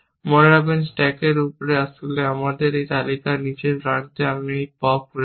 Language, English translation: Bengali, Remember, the top of the stack is actually, at the lower end of our list; I have popped this